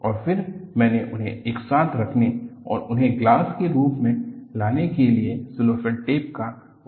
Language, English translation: Hindi, And then, I use cellophane tape to put them together and bring it to the class